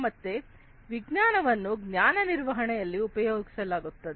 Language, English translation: Kannada, So, this knowledge will be used in knowledge management